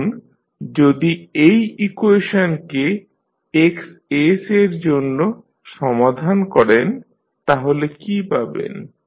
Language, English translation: Bengali, Now, if you solve for Xs this particular equation what you get